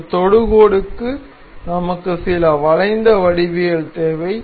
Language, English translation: Tamil, And we need to import some curved geometry